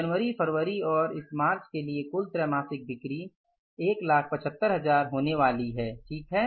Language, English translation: Hindi, Total quarterly sales for the month of January, February and this March are going to be there are 175,000s, right